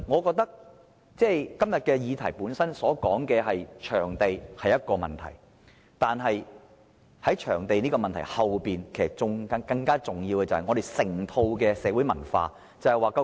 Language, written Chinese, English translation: Cantonese, 今天這項議案提出場地是一個問題，但在場地這個問題背後，更重要的是我們整個社會文化的問題。, The supply of venues as raised in todays motion is a problem facing us . But behind the problem of venue supply a more central problem lies in the overall culture of this society